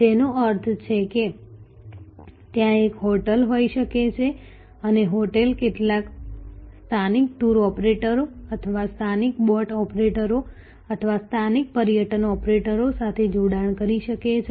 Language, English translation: Gujarati, So, which means that there can be a hotel and the hotel can have alliance with some local tour operators or local boat operators or local excursion operators